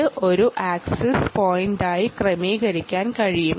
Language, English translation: Malayalam, it can be configured as an access point and ah